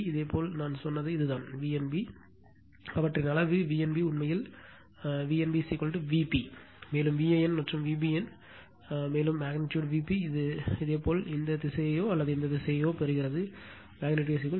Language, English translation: Tamil, whatever I told you just this is my V n b and their magnitude V n b actually magnitude V n b is equal to V p, V n also V p and V b n also magnitude V p right this is magnitude whether you get this direction or that direction in material